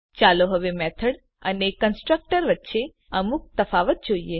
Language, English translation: Gujarati, Now let us see some difference between method and a constructor